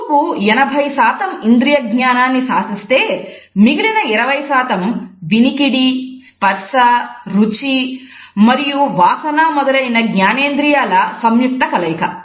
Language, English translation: Telugu, Vision accounts for around 80 percent of our sensory perception, the remaining 20 percent comes from our combined census of hearing, touching, tasting and smelling etcetera